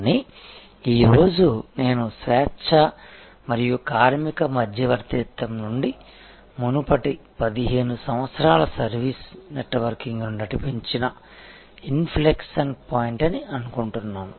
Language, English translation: Telugu, But, today I think this is the inflection point, where from scale and labor arbitrage, which drove the previous 15 years of service networking